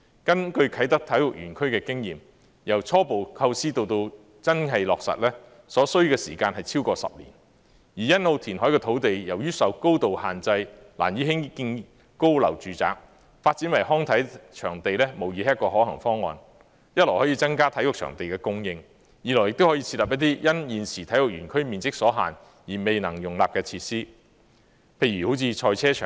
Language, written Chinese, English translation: Cantonese, 根據啟德體育園區的經驗，由初步構思至最終落實，所需時間超過10年，而欣澳填海的土地由於受高度限制，難以興建高樓住宅，發展為康體場地無疑是一個可行方案，一來可增加體育場地的供應，二來亦可設立一些因現時體育園區面積所限而未能容納的設施，譬如賽車場。, Experience from the Kai Tak Sports Park suggests that it takes more than 10 years to go from initial conception to final implementation . As it is difficult to build high - rise residential buildings on the reclaimed land at Sunny Bay due to height restrictions development of a sports venue is undoubtedly a feasible option which can increase the supply of such venues on the one hand and on the other host some facilities such as a motor racing course that cannot be accommodated in the current sports park due to limited site area